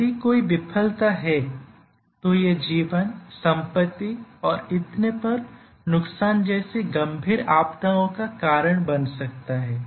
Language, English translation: Hindi, So, if there is a failure it can cause severe disasters, loss of life property and so on